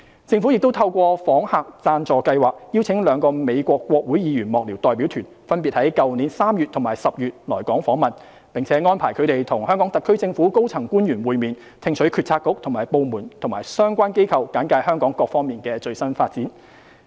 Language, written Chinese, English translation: Cantonese, 政府亦透過訪客贊助計劃邀請兩個美國國會議員幕僚代表團分別於去年3月及10月來港訪問，並安排他們與香港特區政府的高層官員會面，聽取政策局/部門及相關機構簡介香港各方面的最新發展。, The Government also invited two delegations of congressional staffers of the United States to visit Hong Kong respectively in March and October last year under the Sponsored Visitors Programme and arranged for them to meet with senior officials of the HKSAR Government and receive a wide range of briefings by government bureauxdepartments and relevant organizations on the latest development in Hong Kong